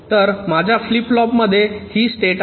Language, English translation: Marathi, so my flip flop contains this state